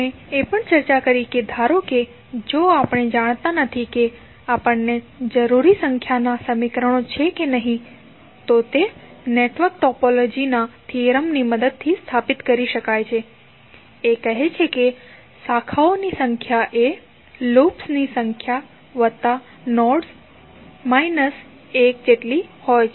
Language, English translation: Gujarati, We also discussed that suppose if we do not know whether we have got equal means the required number of equations or not that can be stabilized with the help of theorem of network topology which says that number of branches equal to number of loops plus number of nodes minus 1